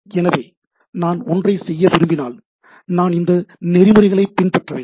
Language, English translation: Tamil, So, if I want to do something, so this is the protocol I want to follow